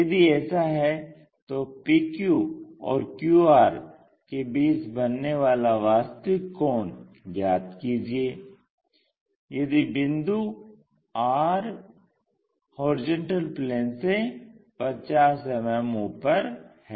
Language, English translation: Hindi, If that is the case, determine the true angle between PQ and QR, if point R is 50 mm above horizontal plane